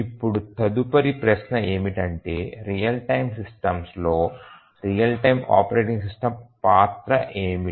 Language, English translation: Telugu, So, the next question is that what is the role of the real time operating system in these real time systems